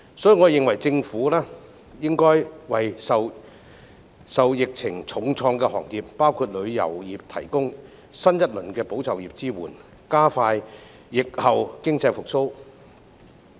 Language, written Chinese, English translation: Cantonese, 所以，我認為政府應為受疫情重創的行業，包括旅遊業提供新一輪"保就業"支援，加快疫後經濟復蘇。, Therefore I think the Government should provide support for industries such as the tourism industry which have been hard hit by the epidemic under a new round of the Employment Support Scheme to speed up post - epidemic economic recovery